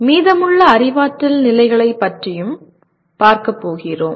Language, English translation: Tamil, We are going to look at the remaining cognitive levels